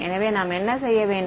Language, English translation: Tamil, So, what should you do